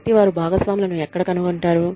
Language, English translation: Telugu, So, where do they find partners